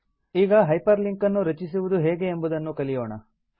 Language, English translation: Kannada, Now lets learn how to hyperlink